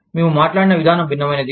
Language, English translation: Telugu, The way, we spoke, was different